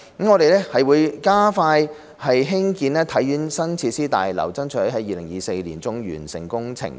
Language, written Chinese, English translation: Cantonese, 我們會加快興建體院的新設施大樓，爭取在2024年年中完成工程。, We will expedite the construction of the new facilities building of HKSI and strive for completion by mid - 2024